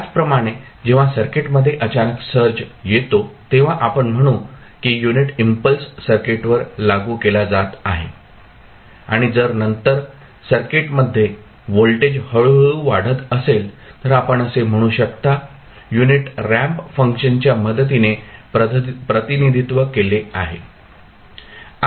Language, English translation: Marathi, Similarly, when there is a sudden search coming into the circuit, then you will say this is the unit impulse being applied to the circuit and then if the voltage is building up gradually to the in the circuit then, you will say that is can be represented with the help of unit ramp function